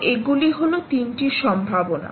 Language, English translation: Bengali, so these are three possibilities